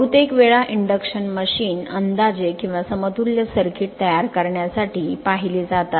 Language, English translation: Marathi, Most of the times for induction machine we have spend to make an approximate or equivalent circuit right